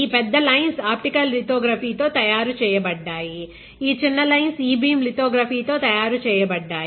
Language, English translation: Telugu, So, these major big lines right, these big lines were made with optical lithography, these small lines were made with e beam lithography